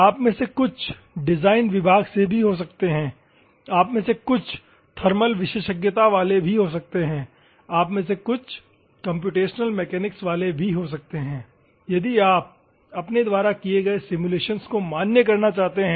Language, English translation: Hindi, Some of you may be from the design department, some of you may be thermal specialization, some of you may be computational mechanics if you want to validate the simulations that you have done